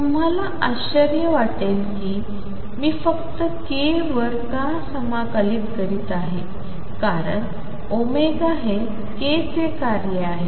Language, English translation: Marathi, You may wonder why I am integrating only over k, it is because omega is also a function of k